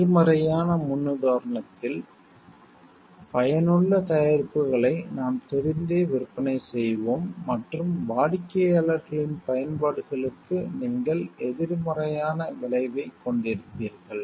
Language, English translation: Tamil, In the negative paradigm we will be knowingly selling products that it effective and that you have negative effect to customers’ applications